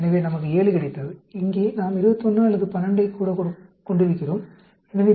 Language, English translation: Tamil, So, we got 7 and here, we are having 21, or even 12; so, these are much larger than the test statistics